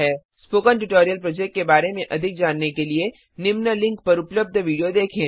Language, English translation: Hindi, To know more about the Spoken Tutorial project, watch the video available at the following link, it summarises the spoken tutorial project